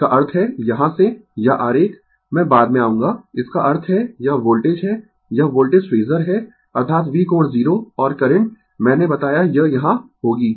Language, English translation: Hindi, That means, from here, this diagram, I will come to later; that means, this is my voltage, this is my voltage phasor, that is V angle 0 and current, I told you it will be here